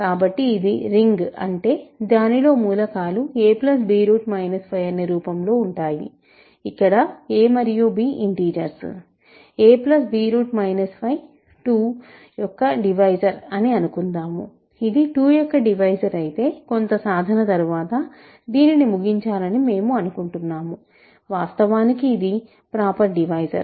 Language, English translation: Telugu, So, this is the ring that means, elements are of this form, where a and b are integers, is a divisor of, suppose this is a divisor of 2, if this is a divisor of 2 we would like to conclude after some work that it, it is in fact, a proper divisor